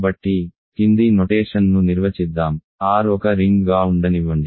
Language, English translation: Telugu, So, let us define the following notion, let R be a ring